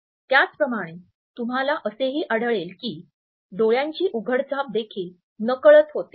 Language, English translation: Marathi, Similarly, you would find that extended blinking also occurs in an unconscious manner